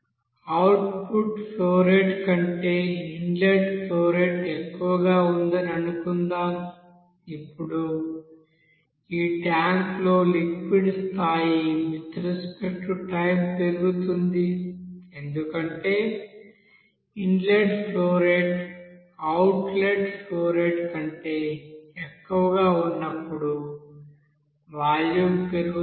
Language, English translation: Telugu, If suppose inlet flow rate is higher than the output flow rate, you will see that liquid will you know that liquid level will increase in the tank with respect to time, because that volume will be increasing because inlet flow rate will be higher than the outlet flow rate